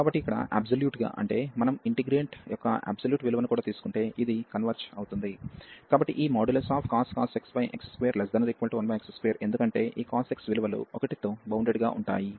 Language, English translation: Telugu, So, here the absolutely means that the if we take even the absolute value of the integrant this is this converges, so this cos x over x square is bound is less than equal to 1 over x square, because this cos x the values are bounded by 1